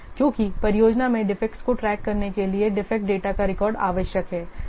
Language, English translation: Hindi, Because a record of the defect data is needed for tracking the defects in the project